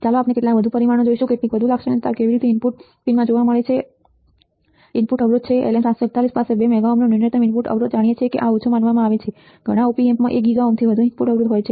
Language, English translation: Gujarati, Let us see some more parameters some more characteristics how the characteristics is input impedance in looking into the input pins is input impedance LM741 has a minimum input impedance of 2 mega ohms know that this is considered low many Op Amps have input impedance over 1 giga ohms ok